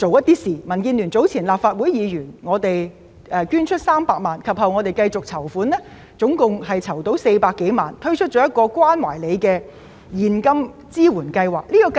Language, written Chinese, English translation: Cantonese, 早前民建聯立法會議員捐出300萬元，其後繼續籌款，合共籌得400多萬元，推出一項"關懷您"現金支援計劃。, Earlier Legislative Council Members of DAB donated 3 million and we continued to raise funds . A total of over 4 million was raised and we introduced a cash support caring scheme